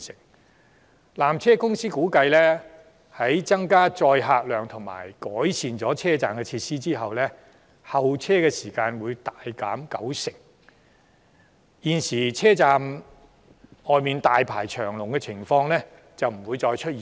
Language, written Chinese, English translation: Cantonese, 據纜車公司估計，在增加載客量及改善車站設施後，候車時間將會大幅縮短九成，現時車站外大排長龍的情況將不會再出現。, According to PTCs estimation with the increase in the tramcar capacity and the improvements made to station facilities the waiting time for the peak tramway service will be markedly reduced by 90 % and hence queues will no longer build up outside the two termini